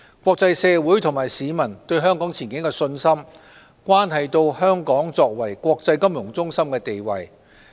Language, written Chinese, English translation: Cantonese, 國際社會及市民對香港前景的信心，關係到香港作為國際金融中心的地位。, The confidence of the international community and our citizens in Hong Kongs prospect has a bearing on Hong Kongs status as an international financial centre